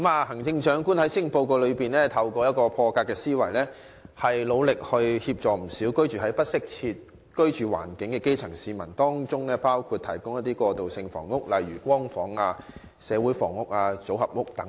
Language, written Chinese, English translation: Cantonese, 行政長官在施政報告展現破格的思維，提出措施協助不少居住環境欠佳的基層市民，包括提供過渡性房屋，例如"光屋"、"社會房屋"及組合屋等。, The Chief Executive shows an unconventional mindset in the Policy Address proposing various initiatives to help improve the poor living conditions of many grass - roots people including the provision of transitional housing like Light Housing units community housing pre - fabricated modular housing etc